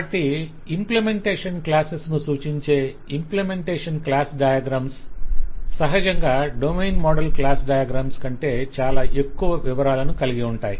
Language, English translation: Telugu, So implementation class diagrams, which represent implementation classes, naturally have far more details than the domain model class diagrams